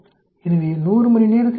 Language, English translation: Tamil, The time is hours so in 100 hours 63